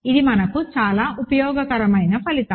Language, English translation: Telugu, This is a very useful a result for us